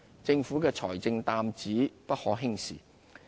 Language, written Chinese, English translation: Cantonese, 政府的財政擔子不可輕視。, The Governments financial burden cannot be taken lightly